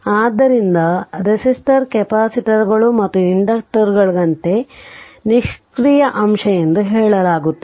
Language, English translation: Kannada, Therefore, thus like capacitor resistor capacitors and inductors are said to be your passive element right